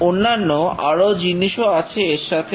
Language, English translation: Bengali, There are many other things that happen